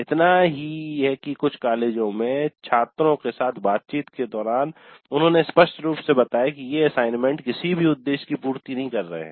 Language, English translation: Hindi, So much so that in a couple of colleges during interactions with the students they plainly told that these assignments are serving no purpose at all